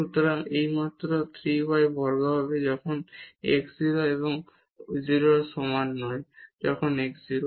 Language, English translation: Bengali, So, this will be just 3 y square when x is not equal to 0 and 0 when x is equal to 0